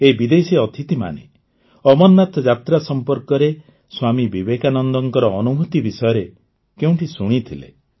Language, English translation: Odia, These foreign guests had heard somewhere about the experiences of Swami Vivekananda related to the Amarnath Yatra